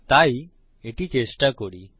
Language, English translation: Bengali, So lets try it